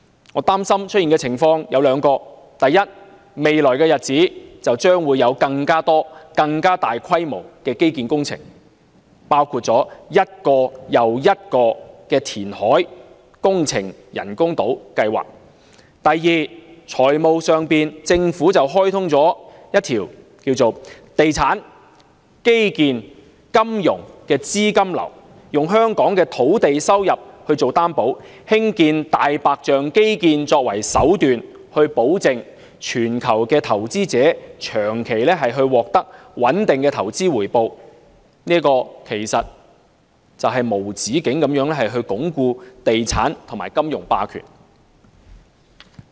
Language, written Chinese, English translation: Cantonese, 我擔心會出現兩種情況：第一，未來日子將會有更多更大規模的基建工程，包括一個又一個的人工島填海工程計劃；及第二，在財務上，政府開通一條"地產─基建─金融"的資金流，以香港的土地收入作擔保，興建"大白象"基建為手段，保證全球投資者長期獲得穩定的投資回報，這其實會無止境地鞏固地產和金融霸權。, There are two scenarios that worry me . First there will be more infrastructure projects of an even larger scale in the days ahead including endless reclamation works projects for the construction of artificial islands . And second financially the Government will produce a real estate―infrastructure―finance capital flow to ensure a stable and long - term return for international investors with Hong Kongs land revenue as guarantee and the construction of white elephant infrastructure as its means which will actually reinforce the perpetuity of real estate and financial hegemony